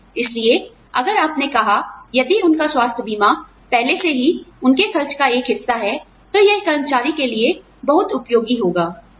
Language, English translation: Hindi, So, if their health insurance, is already taking care of, a part of their expenses, it would be very helpful to the employee, if you said, okay